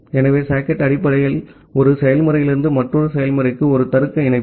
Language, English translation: Tamil, So, socket is basically a logical connection from one process to another process